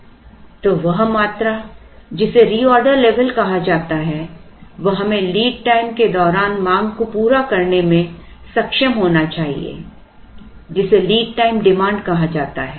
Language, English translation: Hindi, So, that that quantity which is called the reorder level we should be able to meet the demand during lead time which is called lead time demand